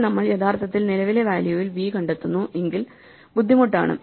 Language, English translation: Malayalam, So, the hard work comes then we actually find v at the current value